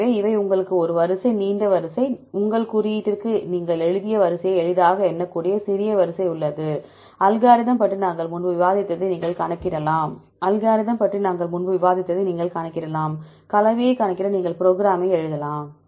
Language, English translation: Tamil, So, these also you can you have a sequence is a long sequence, there is small sequence you can easily count long sequence you have write to your code, you can calculate as we discussed earlier about the algorithm; you can write the program to calculate the composition